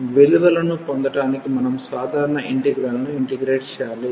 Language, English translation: Telugu, So, we need to just integrate the simple integral to get the values